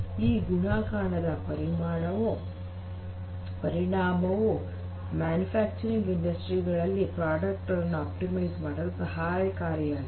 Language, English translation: Kannada, So, this multiplicative effect becomes a very powerful thing which can help these manufacturing industries in the factories to optimize their product lines